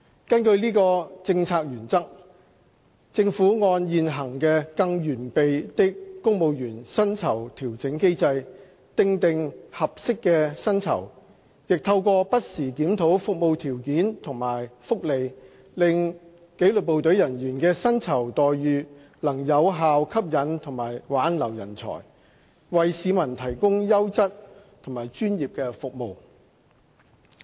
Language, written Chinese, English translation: Cantonese, 根據此政策原則，政府按現行的"更完備的公務員薪酬調整機制"，訂定合適的薪酬，亦透過不時檢討服務條件和福利，令紀律部隊人員的薪酬待遇能有效吸引和挽留人才，為市民提供優質和專業的服務。, Following this policy principle the Government determines appropriate salaries for disciplined services staff under the existing Improved Civil Service Pay Adjustment Mechanism and keeps under review their conditions of service and benefits so as to offer a remuneration package that can attract and retain talent effectively to provide quality and professional services to the public